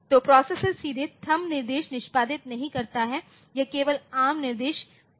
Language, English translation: Hindi, So, the processor does not execute THUMB instruction directly, it executes ARM instruction only